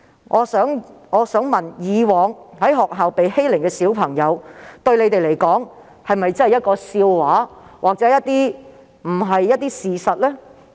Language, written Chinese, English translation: Cantonese, 我想問的是，一些孩子以往在學校遭受的欺凌對他們來說是否一個笑話或並無事實根據？, What I would like to ask is whether they consider the incidents of bullying suffered by some children at schools in the past a joke or unfounded